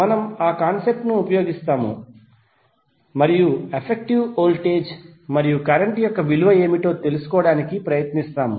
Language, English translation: Telugu, So we will use that concept and we try to find out what is the value of effective voltage and current